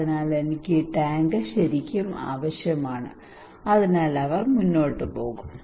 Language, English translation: Malayalam, So I really need this tank so he would go ahead